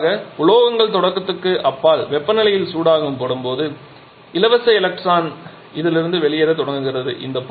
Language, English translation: Tamil, Generally metals when they are heated to a temperature beyond the threshold free electron starts coming out of this